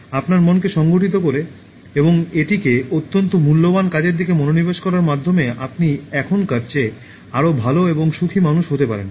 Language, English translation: Bengali, By organizing your mind, and focusing it on a highly valuable task, you can become a better and happier person than what you are now